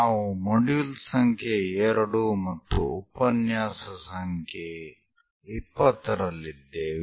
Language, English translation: Kannada, We are in module number 2 and lecture number 20